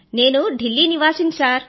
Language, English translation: Telugu, I belong to Delhi sir